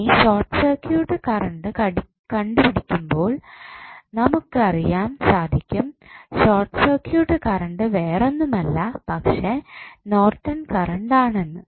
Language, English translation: Malayalam, Now, when we find out the short circuit current we will come to know that short circuit current is nothing but the Norton's current, how